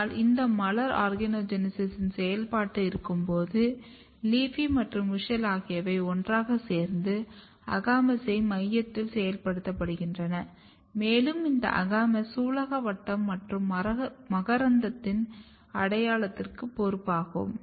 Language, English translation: Tamil, But at the later stage when the this flower is in the process of organogenesis, LEAFY and WUSCHEL together activates AGAMOUS in the center and this AGAMOUS is responsible for carpel and stamen identity